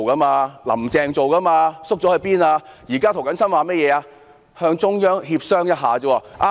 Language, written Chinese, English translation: Cantonese, 現在涂謹申議員只提出與中央協商一下而已。, Now Mr James TO has only proposed negotiating with the Central Government . Mr CHAN Hak - kan has put it most correctly